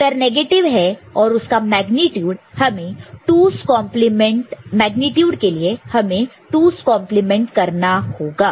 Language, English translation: Hindi, The answer is negative and magnitude can be obtained by again performing 2’s complement